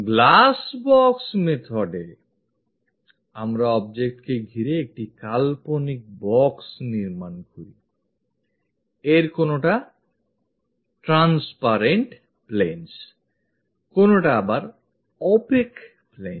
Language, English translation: Bengali, In the Glass box method, we construct an imaginary box around this object; some of them are transparentplanes, some of them are opaque planes